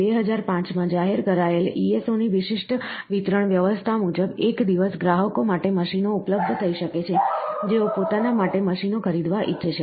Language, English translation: Gujarati, An exclusive distribution arrangement of ESO announced in 2005, may one day lead to machines becoming available to consumers, who wish to purchase their own equipments